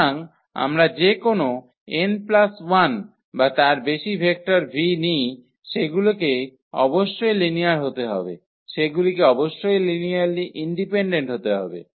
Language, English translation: Bengali, So, any n plus 1 or more vectors we take in V they must be linearly they must be linearly dependent